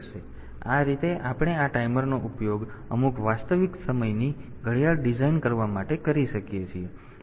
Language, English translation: Gujarati, So, this way we can use this timers for designing some real time clock